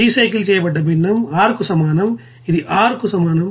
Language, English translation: Telugu, And the fraction recycled will be is equal to Ar that will equals to R